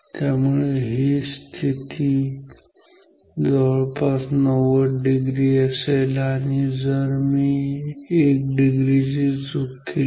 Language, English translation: Marathi, So, then this position is almost 90 degree I even if I make 1 degree error